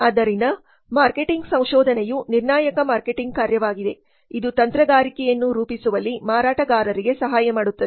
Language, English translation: Kannada, Marketing research is a crucial marketing function which helps marketers in strategy formulation